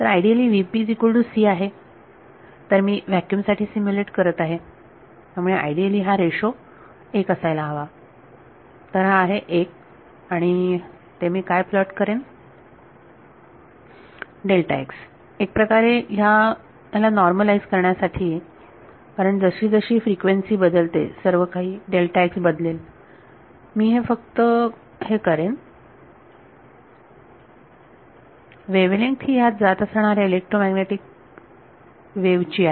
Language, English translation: Marathi, So, v phase by c ideally, I am just stimulating vacuum only; so, ideally this ratio should be 1 right so, this is 1, and here what I will plot is delta x to make it sort of normalized to wave length because as a frequency changes, everything delta x will have to change I will just do this the wave length that this electromagnetic wave is going